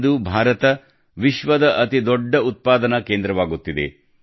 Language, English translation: Kannada, Today India is becoming the world's biggest manufacturing hub